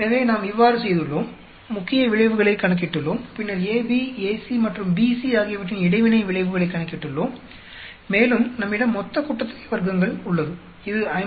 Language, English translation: Tamil, So, this is how we have done, we have calculated the main effects and then we have calculated the interaction effects AB, AC and BC and we also have the total sum of squares, which is given by the 52